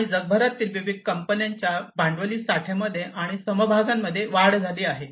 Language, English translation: Marathi, And there has been increase in the capital stocks and shares across different companies worldwide